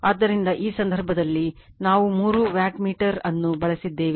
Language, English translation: Kannada, So, in this case , , in this case we have used three wattmeter is given